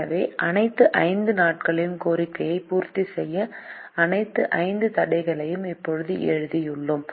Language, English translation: Tamil, so we have now written all the five constraints to meet the demand on all the five days